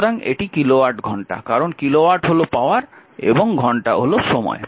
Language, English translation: Bengali, So, that is kilowatt hour, because kilowatt is the power and hour is the time